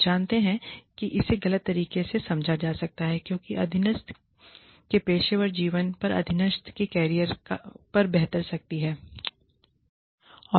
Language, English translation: Hindi, You know, it can be misconstrued, as the superior having power over the subordinate's career, over the subordinate's professional life